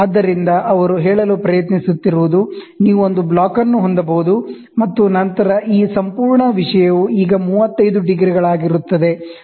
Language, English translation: Kannada, So, what they are trying to say is that you can have a block, ok, and then you can have so, this entire thing will be now 35 degrees